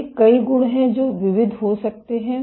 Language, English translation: Hindi, These are several of the properties that can be varied